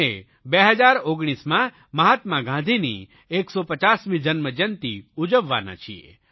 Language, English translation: Gujarati, In 1969, we celebrated his birth centenary and in 2019 we are going to celebrate the 150th birth anniversary of Mahatma Gandhi